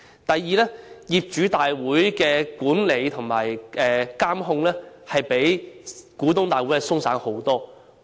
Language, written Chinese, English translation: Cantonese, 第二，業主大會的管理和監控比股東大會鬆散得多。, Second the management and control of general meetings are much laxer than that of shareholders general meetings